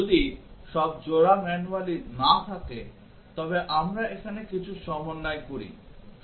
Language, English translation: Bengali, If all the pairs are present manually if not we make some adjustments here